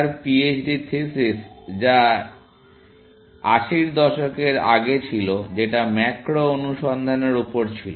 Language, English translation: Bengali, His PHD thesis, which was in the earlier 80s, was finding macros, operators